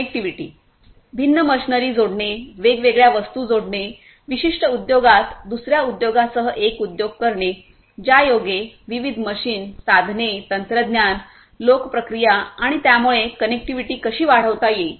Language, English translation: Marathi, Connectivity – connecting the different machinery, connecting the different objects, one industry with another industry within a particular industry connecting different different machines, tools, technologies, people processes and so on full connectivity how you can improve the connectivity